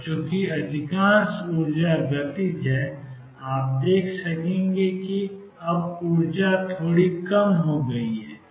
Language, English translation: Hindi, And since the majority of energy is kinetic you will see that now the energy gets lowered a bit